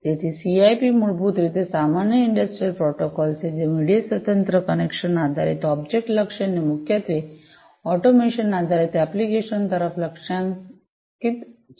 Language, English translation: Gujarati, So, CIP basically is the Common Industrial Protocol, which is media independent, connection based, object oriented, and primarily targeted towards automation based applications